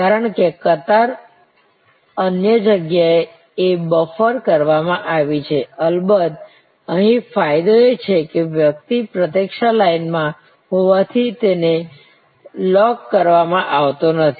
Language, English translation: Gujarati, Because, the queue is buffered elsewhere of course, here the advantage is that a person is not locked in as he or she is in a waiting line